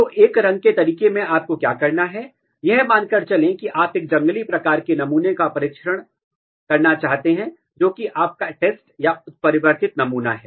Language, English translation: Hindi, So, in one color way what you have to do, let us assume that, you want to test a wild type sample which is your test or mutant sample